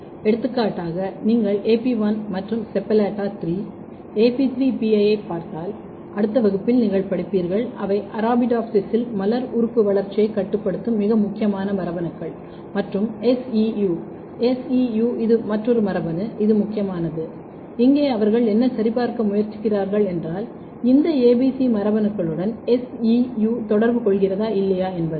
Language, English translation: Tamil, For example, if you look AP1 and SEPALLATA3 , AP3, PI you will study in the next class they are very very important genes which are regulating floral organ development in Arabidopsis and SEU S E U, this is another gene which is important and here what they have tried to check that whether SEU is interacting with these ABC genes or not